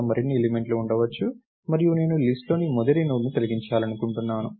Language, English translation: Telugu, May be there are more elements there and I want to delete the very first Node in the list